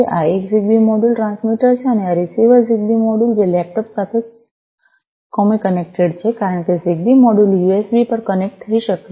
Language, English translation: Gujarati, this one, is the transmitter a ZigBee module, and this is the receiver ZigBee module, which have been com connected to the laptop, because ZigBee modules can connect over USB